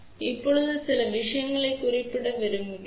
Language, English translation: Tamil, Now, I just want to mention a few things over here